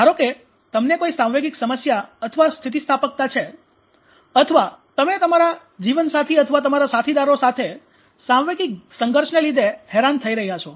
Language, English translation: Gujarati, Suppose you have emotional problem or the resilience or you are suffering from emotional conflict with your spouse or your partners